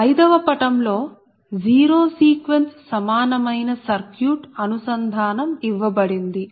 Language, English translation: Telugu, so figure five again gives the equivalent zero sequence circuit connection